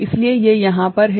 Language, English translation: Hindi, So, it is over here